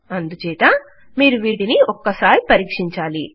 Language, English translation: Telugu, Thats why you should check these things